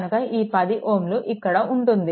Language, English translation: Telugu, So, 10 ohm will be here right